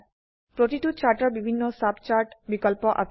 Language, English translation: Assamese, Each type of Chart has various subchart options